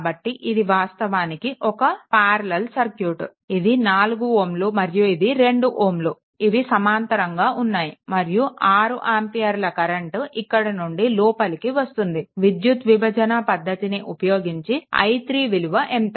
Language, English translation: Telugu, So, this is basically a parallel circuit, this 4 ohm and this 2 ohm there are in parallel right and 6 ampere current is entering here this 4 ohm and 2 ohm are in parallel, then what will be then if current division method what will be i 3